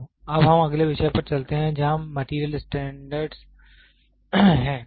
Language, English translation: Hindi, So, now let us move to the next topic where material standards